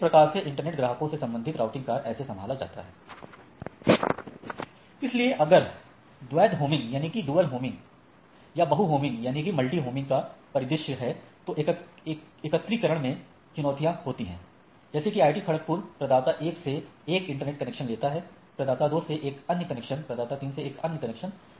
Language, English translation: Hindi, So, but there are challenges in aggregations if there is scenario of dual homing or multi homing right like say IIT Kharagpur takes a internet connection from provider 1, another connection from provider 2, another connection from provider 3